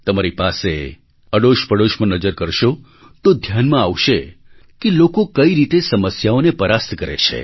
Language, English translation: Gujarati, If you observe in your neighbourhood, then you will witness for yourselves how people overcome the difficulties in their lives